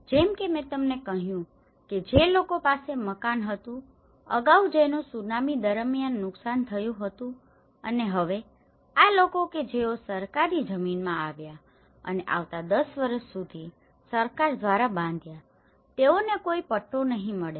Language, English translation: Gujarati, As I said to you that the people who had a house, earlier and which was damaged during tsunami and now, these people which who got in the government land and built by the government for the next ten years they donÃt get any Patta